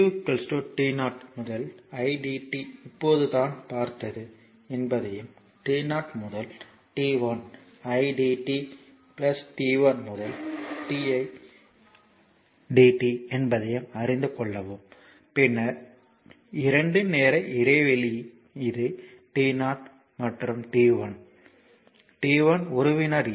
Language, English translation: Tamil, So, we know that q is equal to t 0 to idt is just we have seen right and t 0 to t 1 idt plus t 1 to t i dt then you have a 2 time interval this is say t 0 and this is t 1; t 1 is one second